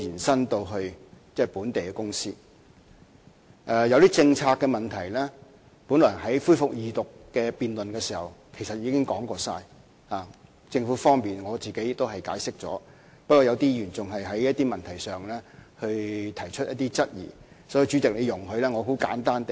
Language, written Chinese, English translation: Cantonese, 關於一些政策的問題，本來在恢復二讀辯論時，我們也已一一作出解釋，不過有些議員仍就某些問題提出質疑，所以，主席，請你容許我很簡單地解釋。, Concerning some questions about the policy during the resumption of Second Reading debate we responded to these questions one by one with our explanations . However some Members still put forward some queries on certain issues . Chairman I thus ask you to allow me to set the record straight with brief explanations